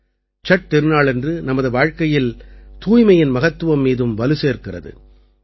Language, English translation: Tamil, The festival of Chhath also emphasizes on the importance of cleanliness in our lives